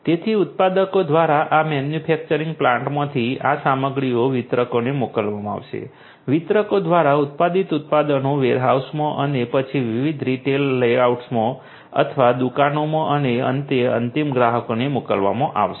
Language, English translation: Gujarati, So, from this manufacturing plant by the manufacturers these materials are going to be sent to the distributors, from the distributors the manufactured products from the distributors are going to be may be sent to the warehouses and then to the different you know retail outlets or shops and finally to the end customers